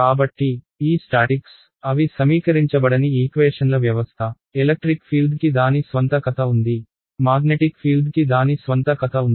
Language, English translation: Telugu, So, these statics they are uncoupled system of equations; electric field has its own story, magnetic field has its own story ok